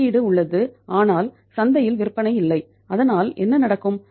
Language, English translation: Tamil, Output is there but there is no sales in the market so what will happen